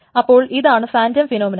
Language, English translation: Malayalam, So this is a phantom phenomenon